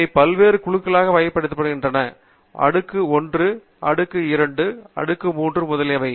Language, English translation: Tamil, They are categorized into various groups: tier 1, tier 2, tier 3, etcetera